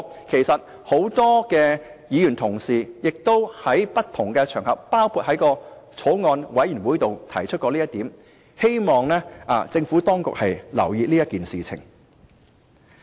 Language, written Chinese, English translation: Cantonese, 其實，很多議員同事亦曾在不同場合，包括在法案委員會提出這點，希望政府當局留意。, Actually many Honourable colleagues have also raised this point on different occasions such as at meetings of the Bills Committee I hope that the Administration will pay heed to this point